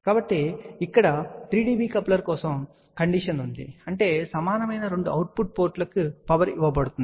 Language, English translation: Telugu, So, here is the condition for 3 dB coupler that means, the power will be given to the two output ports which is equal